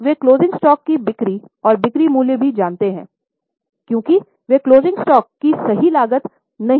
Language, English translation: Hindi, Now, they also know the sales and selling price of closing stock because they don't know exact cost of closing stock